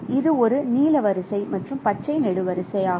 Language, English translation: Tamil, So, this is a blue row and green column location